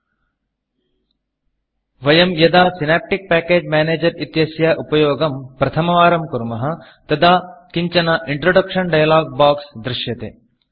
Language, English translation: Sanskrit, When we use the synaptic package manager for the first time, an introduction dialog box appears